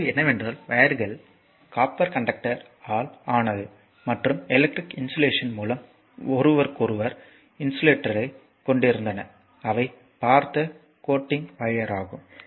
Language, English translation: Tamil, And, but question is the wires are of made of copper conductor I just told you and had insulator from one another by electrical insulation coating the your coating the wire that you have seen that you have seen